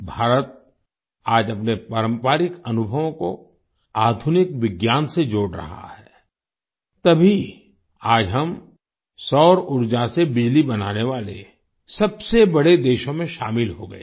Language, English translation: Hindi, Today, India is combining its traditional experiences with modern science, that is why, today, we have become one of the largest countries to generate electricity from solar energy